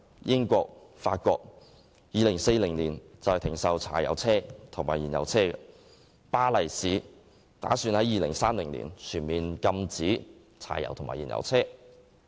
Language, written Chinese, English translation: Cantonese, 英國及法國打算在2040年停售柴油車及燃油車，而巴黎市亦打算在2030年全面禁止柴油車及燃油車。, The United Kingdom and France intend to end the sale of diesel and fuel - engined vehicles by 2040 and Paris also plans to impose a total ban on diesel and fuel - engined vehicles by 2030